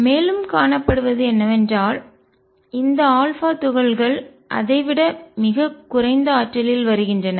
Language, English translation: Tamil, And what is seen is that these alpha particles come at energy much lower than that